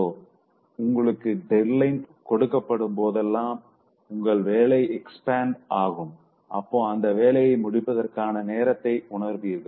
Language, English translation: Tamil, So whenever you are given a deadline and then your work will expand so as to feel the time available for its completion